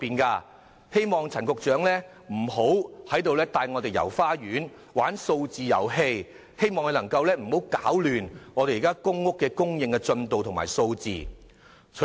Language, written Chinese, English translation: Cantonese, 我希望陳局長不要帶議員"遊花園"和玩數字遊戲，也希望他不要攪亂公屋供應的進度和數字。, I hope Secretary Frank CHAN will not take us all round the circle and play number games . Neither should he mess up the progress and figures of public housing supply